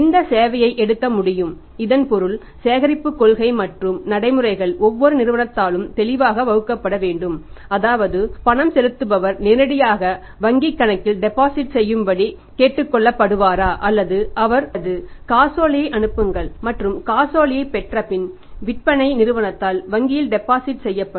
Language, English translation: Tamil, This service can be taken so it means collection policy and procedure has to be clearly laid down by every company that is how the payment will be collected whether the payer will be asked to deposit the payment directly in the bank account or he will be ask to send the cheque and cheque will be deposited in the bank by the selling company after receiving it or any other way it has to be collection policy has to be very, very clear very, very even say stringent also